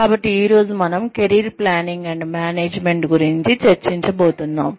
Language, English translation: Telugu, So, today, we are going to discuss, Career Planning and Management